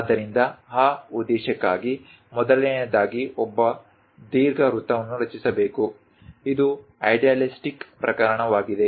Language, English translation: Kannada, So, for that purpose, first of all, one has to construct an ellipse, this is the idealistic case